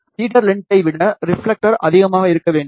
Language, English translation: Tamil, Reflector should be greater than the feeder length